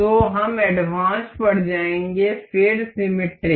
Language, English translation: Hindi, So, we will go to advanced, then the symmetric